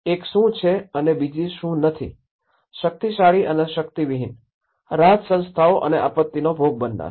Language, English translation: Gujarati, One is the haves and the have nots, the powerful and the powerless, the relief organizations and the victims of the disaster